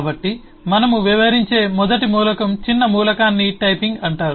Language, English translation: Telugu, so the first eh element minor element that we deal with is called typing